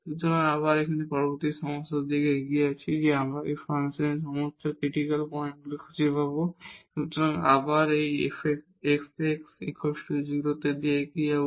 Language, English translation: Bengali, So, now moving to the next problem here again we will find all the critical points of this function, f x y is equal to x square minus y square exponential minus x square minus y square by 2